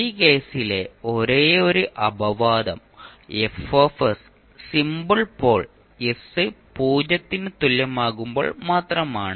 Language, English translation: Malayalam, The only exception in this case is the case when F of s simple pole at s equal to 0